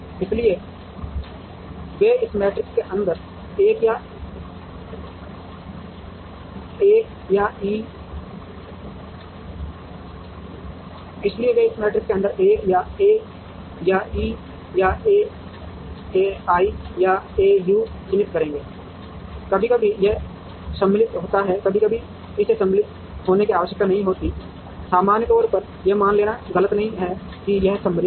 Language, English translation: Hindi, So, they would mark and an A or E or A I or A U inside this matrix, sometimes this is symmetric sometimes, it need not be symmetric, in general it is not a wrong thing to assume that it is symmetric